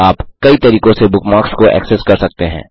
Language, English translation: Hindi, You can access bookmarks in many ways